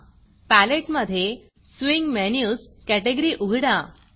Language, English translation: Marathi, In the Palette, open the Swing Menus category